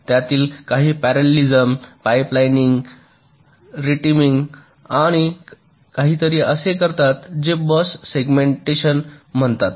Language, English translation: Marathi, some of them use parallelism, pipe lining, retiming and something called bus segmentation